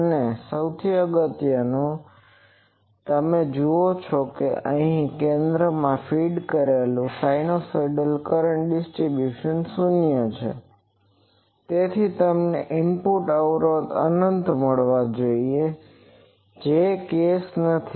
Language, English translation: Gujarati, And most importantly you see that here the center fed at the centre the sinusoidal current distributions is 0 so that should give you input impedance should go to infinity which is not the case